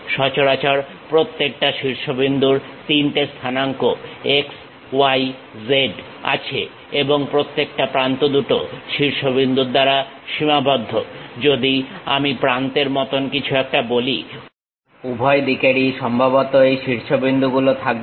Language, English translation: Bengali, Usually, each vertex has 3 coordinates x, y, z and each edge is delimited by two vertices; if I am saying something like edge; both the ends supposed to have these vertices